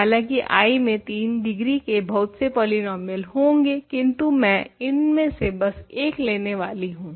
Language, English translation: Hindi, There would be lots of polynomials of degree 3 in I perhaps, but I am just going to pick one of them